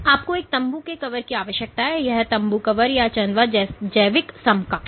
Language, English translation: Hindi, So, you need a tent cover this this tent cover or the canopy the biological equivalent